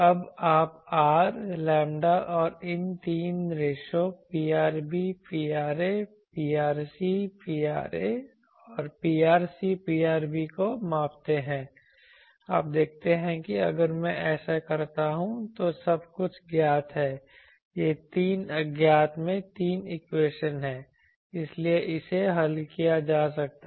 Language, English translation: Hindi, Now, you measure R, lambda and these three ratios P rb P ra, P rc P ra and P rc P rb, you see that if I do that everything is known this is three equations in three unknowns so this can be solved